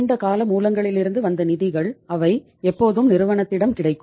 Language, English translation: Tamil, The funds which have come from the long term sources they would always be available with the firm